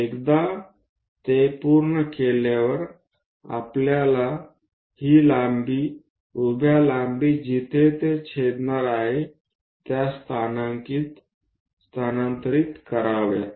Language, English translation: Marathi, Once that is done we have to construct transfer this lengths, the vertical lengths where they are going to intersect